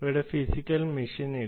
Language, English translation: Malayalam, there is no physical machine here